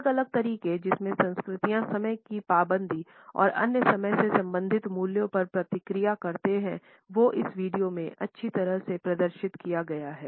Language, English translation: Hindi, The different ways in which cultures respond to punctuality and other time related values is nicely displayed in this video